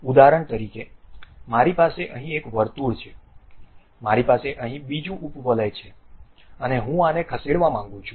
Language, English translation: Gujarati, For example, I have one circle here, I have another ellipse here and I would like to move this one